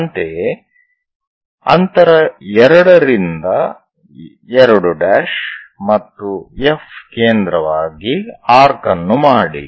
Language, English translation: Kannada, Similarly, as distance 2 to 2 prime and F as that make an arc